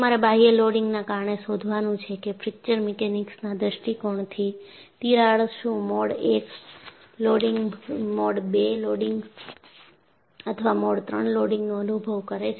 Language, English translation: Gujarati, You have to find out because of the external loading, whether the crack experiences a Mode I loading, Mode II loading or Mode III loading from Fracture Mechanics point of view